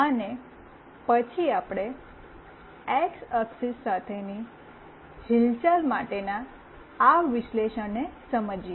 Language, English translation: Gujarati, And then let us understand this analysis for the movement along x axis